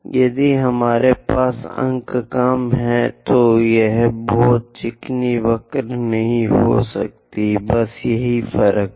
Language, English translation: Hindi, If we have less number of points, it may not be very smooth curve; that is the only difference